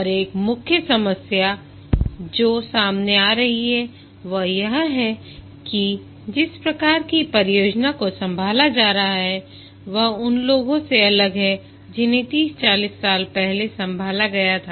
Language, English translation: Hindi, And one of the main problem that is being faced is that the type of project that are being handled are different from those that were handled 30, 40 years back